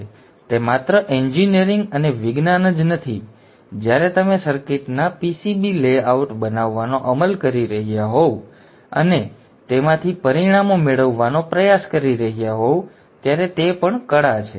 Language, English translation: Gujarati, So it is not only engineering and science, it is also art when you are implementing the circuits, making VCB layouts and trying to get the results out of that